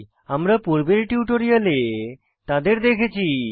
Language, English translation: Bengali, We saw them in the previous tutorial